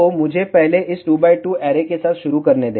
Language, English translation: Hindi, So, let me start with this 2 by 2 array first